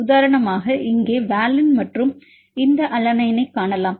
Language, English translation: Tamil, For example, here to valine and if you here you can see this alanine